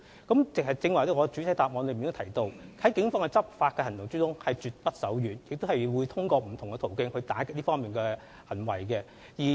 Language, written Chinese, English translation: Cantonese, 我剛才在主體答覆也提到，警方的執法行動絕不手軟，並會透過不同途徑打擊這方面的行為。, As I mentioned in the main reply just now the Police will take stern enforcement actions and clamp down on these activities through various means